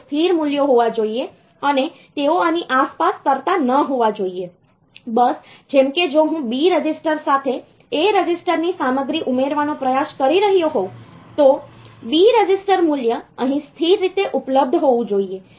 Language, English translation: Gujarati, They should be stable values they should not be floating around this; bus like if I am trying to add the content of a register with B register, then the B register value should be available here in a steady fashion